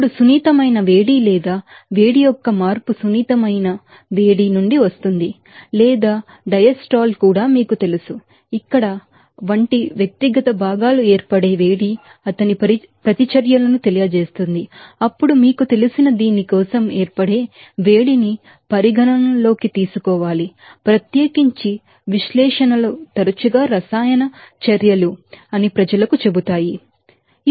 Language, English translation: Telugu, Now, that change of enthalpy or heat you can say that comes from sensitive heat or also diastral being contributed by you know that heat of formation of that individual components like here react incipit his reactions, then you have to you know considered that heat of formation for this you know, particular you know analyzes often tell people that chemical reactions